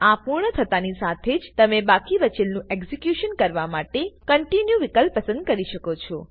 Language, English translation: Gujarati, Once you finish, you can also choose the Continue option to complete the execution of the remaining program